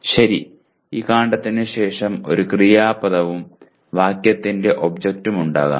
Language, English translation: Malayalam, Okay, this stem will be followed by a verb phrase and an object of the phrase